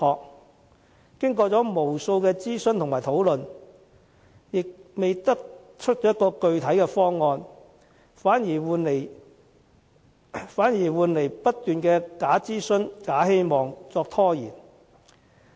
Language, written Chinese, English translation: Cantonese, 但經過無數次諮詢和討論，也未得出具體方案，反以不斷的"假諮詢、假希望"作拖延。, However after several rounds of consultation and discussion no concrete scheme has been put forward and fake consultation and false hopes are instead used to delay the matter